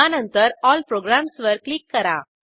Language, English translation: Marathi, Then click on All programs